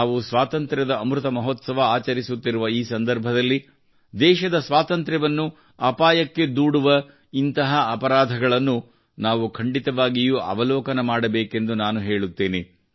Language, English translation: Kannada, I wish that, today, when we are celebrating the Azadi Ka Amrit Mahotsav we must also have a glance at such crimes which endanger the freedom of the country